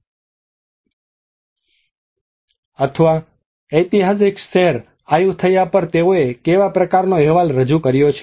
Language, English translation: Gujarati, Or what kind of report they have produced on the historic city of Ayutthaya